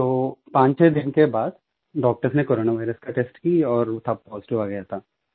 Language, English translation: Hindi, After 4 or 5 days, doctors conducted a test for Corona virus